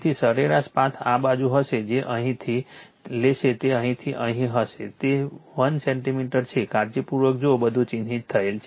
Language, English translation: Gujarati, So, mean path will be this side it will take from here it will be here to here it is 1 centimeter see carefully everything is marked